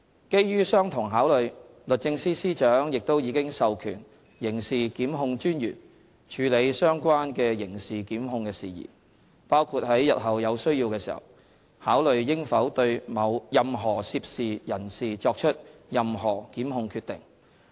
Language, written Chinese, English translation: Cantonese, 基於相同考慮，律政司司長亦已授權刑事檢控專員處理相關的刑事檢控的事宜，包括在日後有需要時考慮應否對任何涉事人士作出任何檢控決定。, Based on the same considerations the Secretary for Justice has also delegated to the Director of Public Prosecutions the authority to handle all prosecutorial matters relating to such matters including the decision as to whether any prosecution action should be commenced against any persons involved in the matter